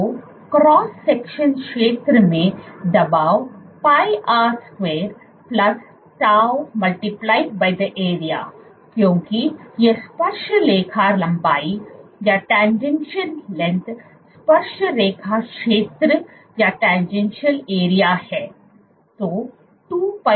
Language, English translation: Hindi, So, pressure into the cross section area is pi r square plus tau into the area because it is the tangential length tangential area